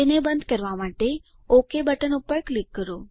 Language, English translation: Gujarati, Click on OK button to close it